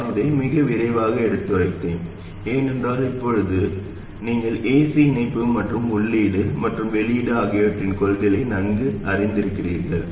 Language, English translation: Tamil, I went through this pretty quickly because by now we are familiar with the principles of AC coupling at the input and output